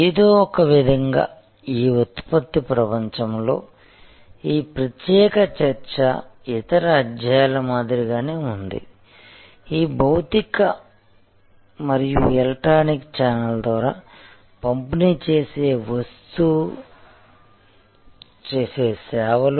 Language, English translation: Telugu, So, in some way just like in the product world, this particular discussion was like any other chapter, these distributing services through physical and electronic channels